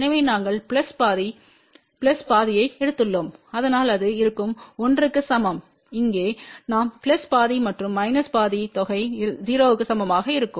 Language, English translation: Tamil, So, we had taken plus half plus half, so that will be equal to 1 and here we had taken plus half and minus half the sum of that will be equal to 0